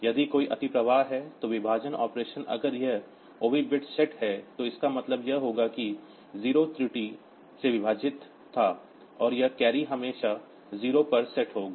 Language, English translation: Hindi, If there is an overflow, the division operation then if this OV bit is set so that will mean that there was a divide by 0 error, and this carry will always be set to 0